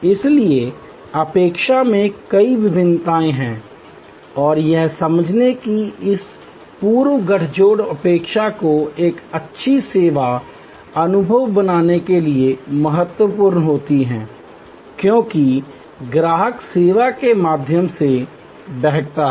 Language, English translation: Hindi, So, there are many different variations in expectation and understanding this pre encounter expectation is crucial for creating a good service experience, as the customer flows through the service